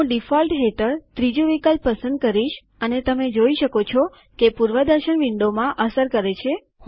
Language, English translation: Gujarati, I will choose the third option under Default and you can see that it is reflected in the preview window